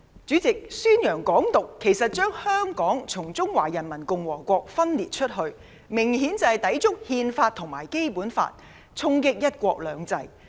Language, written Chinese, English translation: Cantonese, 主席，宣揚"港獨"，將香港從中華人民共和國分裂出來，明顯抵觸《憲法》和《基本法》，衝擊"一國兩制"。, President publicizing Hong Kong independence or advocating the separation of Hong Kong from the Peoples Republic of China obviously contradicts the Constitution and the Basic Law and affects one country two systems